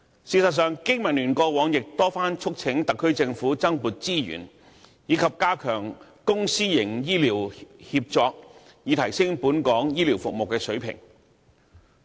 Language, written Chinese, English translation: Cantonese, 事實上，經民聯過往曾多番促請特區政府增撥資源，以及加強公私營醫療協作，以提升本港醫療服務的水平。, In fact BPA has urged the Government on multiple occasions in the past to allocate additional resources and strengthen public - private partnership in healthcare so as to upgrade the standard of healthcare services in Hong Kong